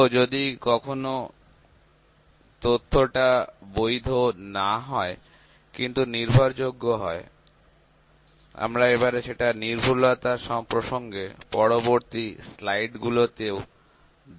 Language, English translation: Bengali, So, if the data is sometimes data is not valid, but reliable we will see we will see this in in context of accuracy precision as well in the forthcoming slides here